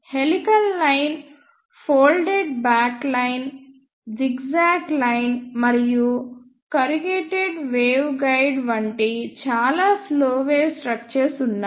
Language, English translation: Telugu, There are many slow wave structures such as helical line, folded back line, zigzag line, corrugated waveguide and so on